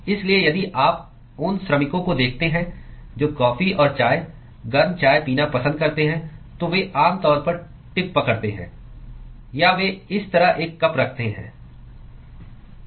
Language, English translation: Hindi, So, if you look at the workers who are like drinking coffee and tea, the hot tea, they usually hold the tip or they hold a cup like this